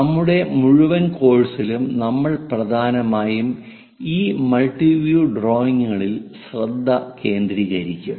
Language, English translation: Malayalam, In our entire course, we will mainly focus on this multi view drawings